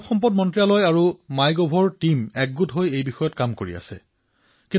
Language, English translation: Assamese, The HRD ministry and the MyGov team are jointly working on it